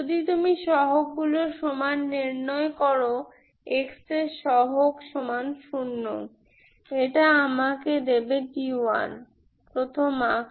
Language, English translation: Bengali, If you equate the coefficients, coefficient of x power 1 equal to zero, this will give me d 1 equal to zero, first form, Ok